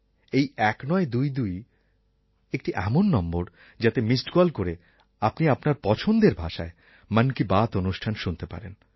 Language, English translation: Bengali, This 1922 is one such number that if you give a missed call to it, you can listen to Mann Ki Baat in the language of your choice